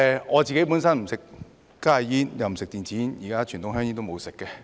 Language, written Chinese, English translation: Cantonese, 我本身不吸食加熱煙及電子煙，現在連傳統香煙也沒有吸食。, I myself do not smoke HTPs or e - cigarettes and I do not even smoke conventional cigarettes nowadays